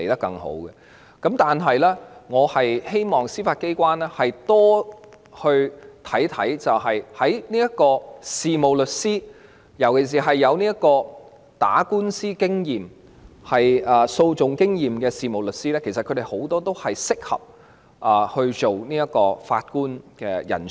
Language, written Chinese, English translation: Cantonese, 但我希望司法機關會多加留意事務律師，尤其是有訴訟經驗的事務律師，其實他們很多都是適合擔任法官的人才。, Having said that I hope the Judiciary will pay greater attention to solicitors especially those with experience in litigation since a good many of them are talents suitable for the Bench